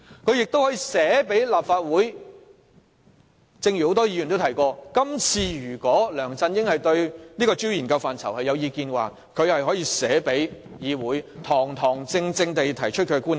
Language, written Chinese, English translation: Cantonese, 正如很多議員剛才提過，如梁振英對調查範疇有意見，可以去信立法會，堂堂正正提出他的觀點。, As many Members have said earlier if LEUNG Chun - ying had views about the scope of inquiry he could have written to the Legislative Council and formally put forward his views